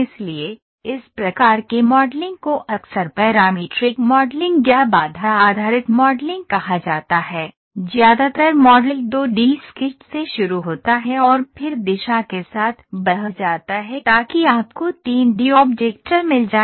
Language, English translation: Hindi, So, in this type of modeling often called as parametric modeling or constraint based modeling most of the time, the model starts with the 2 D sketch and then swept along the direction so that you get a 3 D object